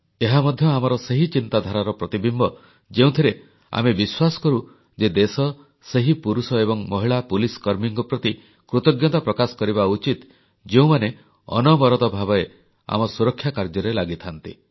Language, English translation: Odia, That too echoed the same sentiment, and we believe that we should be ever grateful to those policemen & police women, who relentlessly ensure our safety & security